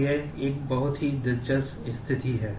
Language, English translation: Hindi, So, it is a very interesting situation